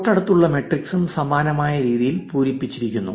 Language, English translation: Malayalam, The rest of the adjacency matrix is also filled in similar manner